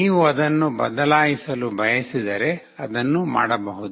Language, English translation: Kannada, If you want to change that you can do it